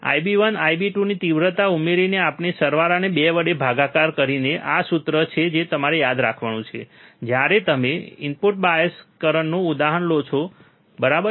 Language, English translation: Gujarati, By adding the magnitudes of I B one I B 2 and dividing the sum by 2, this is the formula that you have to remember, when you take a example of an input bias current, right